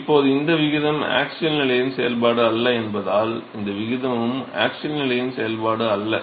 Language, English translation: Tamil, So, now, because this ratio is not a function of the axial position, this ratio is also not a function of the axial position